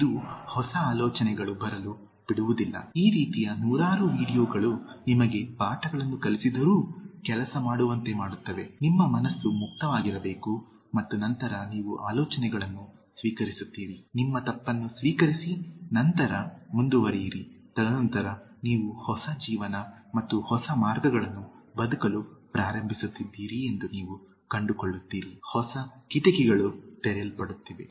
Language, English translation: Kannada, It will not let new thoughts to come, it will not accept even if hundreds of videos like this will teach you lessons, will make you work, your mind has to be open and then you receive the ideas, accept your mistake and then move ahead and then you will find that you are starting to live a new life and new avenues, new windows are getting opened